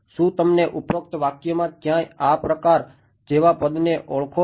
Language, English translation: Gujarati, Do you recognize a term like this up here somewhere in the expression above